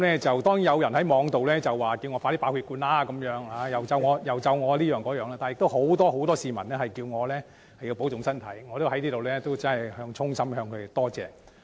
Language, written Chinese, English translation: Cantonese, 雖然有人在互聯網表示希望我早日爆血管，又用其他方式詛咒我，但也有很多市民叮囑我保重身體，我要在此衷心感謝他們。, Although someone on the Internet wished that I had a stroke soon or cursed me in some other ways many others have reminded me to take good care of my health and to these people I would like to give my heartfelt gratitude